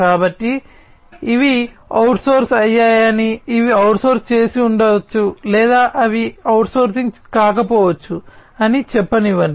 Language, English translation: Telugu, So, this will be like let us say that these are outsourced, they maybe outsource or they may not be outsource